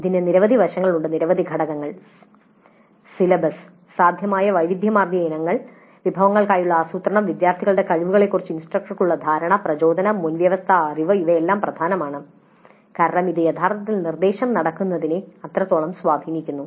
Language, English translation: Malayalam, So, this has several aspects, several components, celibus with a variety of items which are possible, then planning for resources, then instructors perception of students with regard to their abilities, motivation, prerequisite knowledge, these are all very important because that has a bearing on how actually the instruction takes place